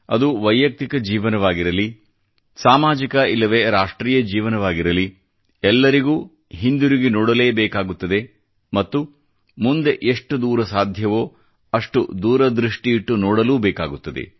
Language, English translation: Kannada, Whether it be the life of an individual, the life of a society at large or the life of a Nation collectively, everybody has to look back & ponder; at the same time one has to try & look forward to the best extent possible